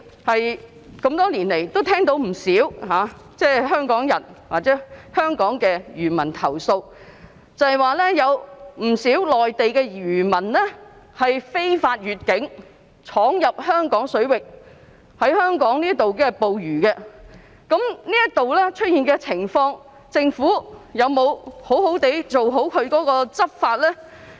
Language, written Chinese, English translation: Cantonese, 我們多年來聽到不少香港漁民投訴，指不少內地漁民非法越境闖入香港水域在香港捕魚，就這方面的情況，政府有否妥善執法呢？, Over the years we have heard quite a number of Hong Kong fishermen complain that many Mainland fishermen illegally entered Hong Kong waters to catch fish in Hong Kong . In view of such a situation has the Government properly enforced the law?